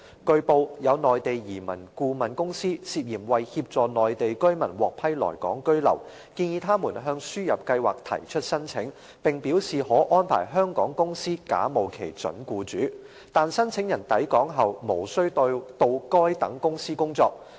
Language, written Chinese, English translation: Cantonese, 據報，有內地移民顧問公司涉嫌為協助內地居民獲批來港居留，建議他們向輸入計劃提出申請，並表示可安排香港公司假冒其準僱主，但申請人抵港後無需到該等公司工作。, It has been reported that some Mainland immigration consultants have for the purpose of helping Mainland residents to obtain approval for residing in Hong Kong allegedly suggested them submit applications under ASMTP and indicated that they could arrange Hong Kong companies to pass off as their potential employers but the applicants need not work for these companies upon arrival in Hong Kong